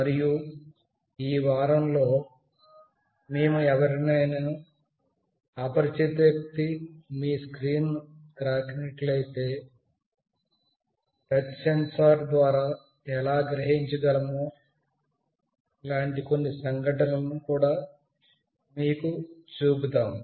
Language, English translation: Telugu, And in this week, we will also show you through a touch sensor, how we can sense some kind of events, if an unwanted people touches your screen